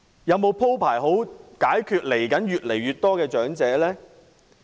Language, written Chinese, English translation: Cantonese, 有否鋪排好如何面對越來越多的長者呢？, Is there any plan to cater for a growing elderly population?